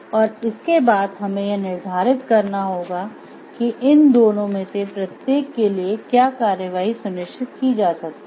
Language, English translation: Hindi, So, after that then we should determine what course of action each of these 2 suggests